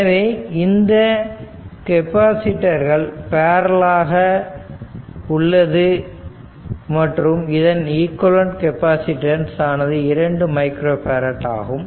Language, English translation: Tamil, So, this capacitors are in parallel we have an equivalent capacitance is 2 micro farad